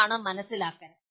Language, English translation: Malayalam, That is understanding